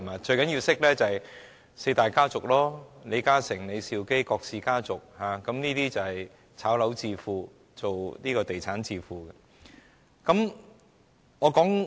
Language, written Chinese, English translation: Cantonese, 最重要的是要認識四大家族，即李嘉誠、李兆基和郭氏家族等，他們都是"炒樓"和從事地產致富的。, How many people know manufactory owners? . The most important thing is to know the four big families including LI Ka - shings family that of LEE Shau - kee and the KWOKs . All of them made a fortune from property speculation and engaging in the real estate business